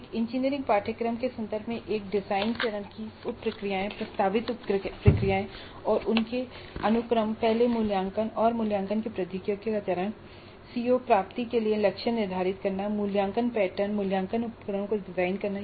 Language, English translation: Hindi, So the sub processes of a design phase are now that in the context of an engineering course the proposed sub processes and their sequence are first selecting the technology for assessment and evaluation which we will see in the next unit, setting targets for CO attainment, designing the assessment pattern and assessment instruments